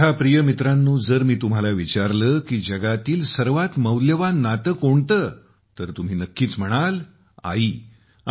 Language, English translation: Marathi, My dear friends, if I ask you what the most precious relationship in the world is, you will certainly say – “Maa”, Mother